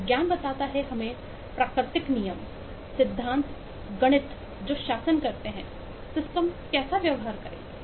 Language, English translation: Hindi, the science tells us the natural laws, principles, mathematics that govern how systems will behave